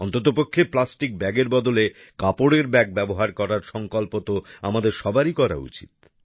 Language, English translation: Bengali, At least we all should take a pledge to replace plastic bags with cloth bags